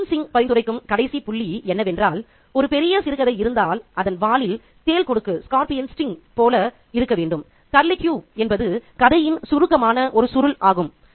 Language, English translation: Tamil, The last point that Kushwin Singh suggests is that a great short story should have or must have like a scorpion sting in its tail a curly cue which sums up the story